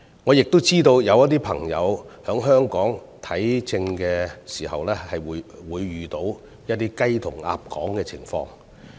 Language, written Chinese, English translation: Cantonese, 我亦知道有些少數族裔朋友在香港求診時，會遇到"雞同鴨講"的情況。, I also know that some ethnic minority people will encounter communication breakdown when seeking medical consultation in Hong Kong